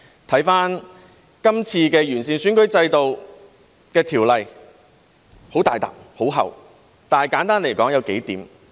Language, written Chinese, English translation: Cantonese, 翻看今次完善選舉制度的《條例草案》，很大疊、很厚，但簡單來說有數點。, This Bill on improving the electoral system consists of a thick pile of paper but it can be briefly summed up in a few points